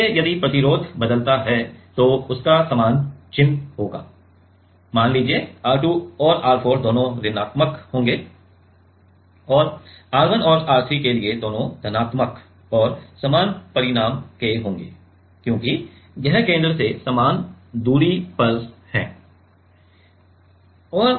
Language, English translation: Hindi, So, if the resistance changes it will have the same sign; R 2 and R 4 both will be negative let us say and for R 1 and R 3 both will be positive and of the same magnitude because it is from the same distance from the center